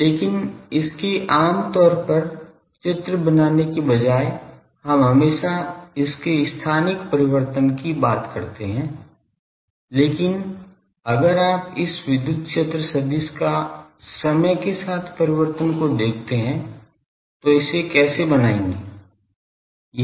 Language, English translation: Hindi, But instead of drawing its generally we always draw the thing as a spatial variation, but if you see time variation this electric field vector its int how it traces